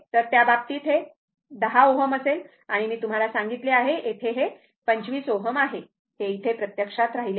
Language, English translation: Marathi, So, in that case, it will be 10 ohm and I told you, here it is 25 ohm right, this is missed actually